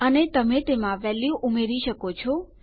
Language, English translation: Gujarati, And you can insert values in them